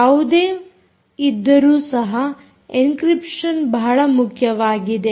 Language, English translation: Kannada, nevertheless, encryption is an important thing